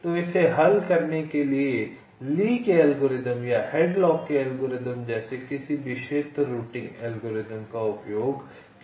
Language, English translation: Hindi, so any area routing algorithm like lees algorithm or algorithm can be used to solve this